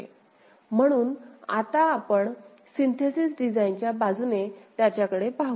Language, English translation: Marathi, So, now let us look at because we are now look into the synthesis design aspect of it